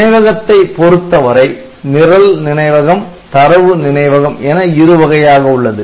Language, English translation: Tamil, thought to be consisting of two parts program memory and data memory